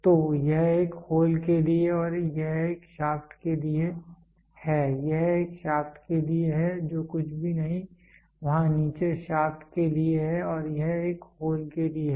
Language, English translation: Hindi, So, this is for a hole and this is for a shaft this is for a shaft the bottom whatever is there is for a shaft and this is for a hole